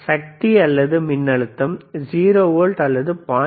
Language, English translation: Tamil, here tThe power is or voltage is 0 volts or 0